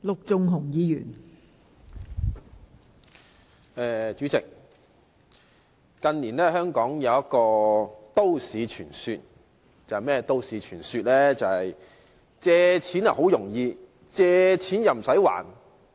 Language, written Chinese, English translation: Cantonese, 代理主席，近年香港有一個都市傳說，就是"借錢好容易"、"借錢唔駛還"。, Deputy President in recent years there is this urban myth in Hong Kong of getting a loan is very easy and there is no need to repay your loan